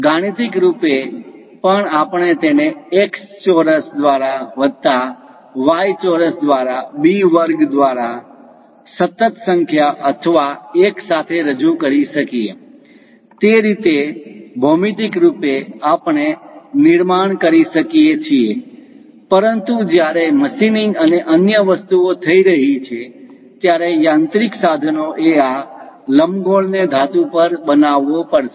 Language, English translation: Gujarati, Mathematically also we can represent it by x square by a square plus y square by b square with constant number or 1; that way geometrically we can construct, but when machining and other things are happening, the mechanical tools has to construct this ellipse on metal place